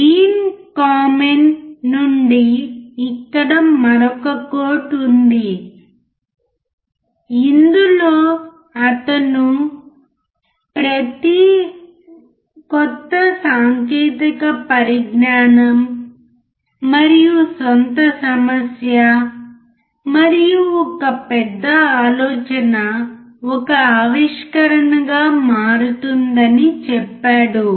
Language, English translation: Telugu, Here is another quote from Dean Kamen, in which he says that every, every once in a while, a new technology and own problem and a big idea turn into an innovation